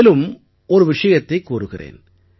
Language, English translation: Tamil, I ask you one more question